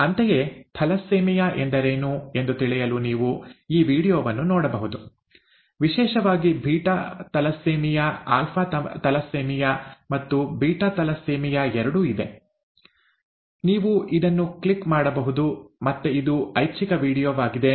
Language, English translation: Kannada, Similarly, you could look at this video for knowing what thalassemia is, especially beta thalassemia; there is alpha thalassemia and beta thalassemia, you could click on this, again an optional video